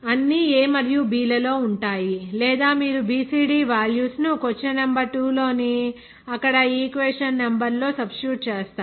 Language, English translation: Telugu, All are in terms of A and B or like this so you substitute that value of BCD there in equation number earlier that any question number 2